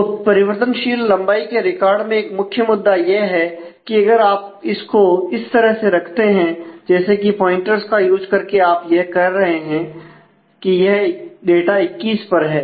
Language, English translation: Hindi, So, for variable length records a one main issue is if you if you keep it like this, then since you are using actually you are using pointers here we saying that this data actually is on 21